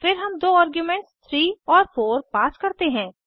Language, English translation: Hindi, Then we pass two arguments as 3 and 4